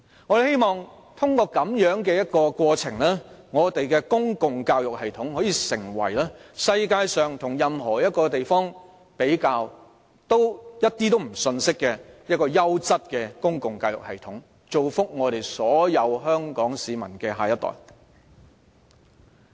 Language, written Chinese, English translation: Cantonese, 我們希望通過這種過程，令我們的公共教育系統可以成為與世界各地比較均毫不遜色的優質公共教育系統，造福所有香港市民的下一代。, We hope that through this process our system of public education can become a quality public education system that does not pale in comparison with those in other places worldwide to the benefit of the next generation of all the people of Hong Kong